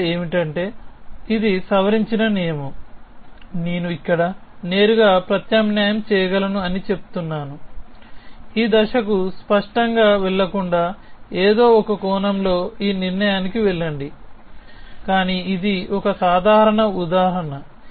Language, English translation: Telugu, So, this step is, this is the modified rule that says that I can substitute directly here jump to this conclusion in some sense without having into go through that step of instantiation explicitly, but this is a simple example